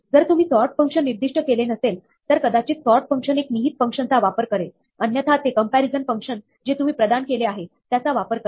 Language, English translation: Marathi, If you do not specify a sort function, there might be an implicit function that the sort function uses; otherwise it will use the comparison function that you provide